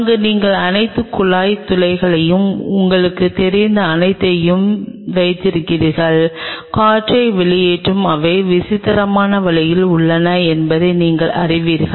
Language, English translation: Tamil, There you put all the pipe holes and everything you know the air out and you know circulate they are in peculiar way